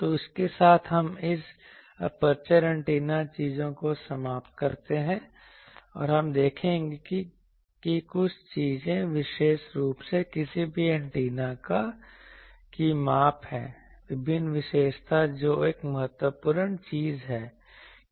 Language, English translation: Hindi, So, with that we conclude this aperture antennas things and we will see that there are certain things particularly the measurement of any antennas various characteristic that is an important thing